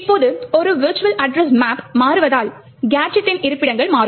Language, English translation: Tamil, Now, since a virtual address map changes, the locations of the gadget would change